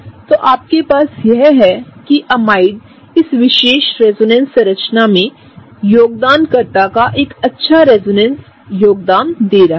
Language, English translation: Hindi, So, what you have is that amides also show a good resonance contribution of this particular resonance contributor